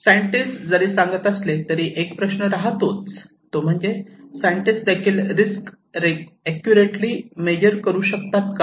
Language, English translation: Marathi, So, now if the scientists are really saying that, the question is even the scientist can they really measure the risk accurately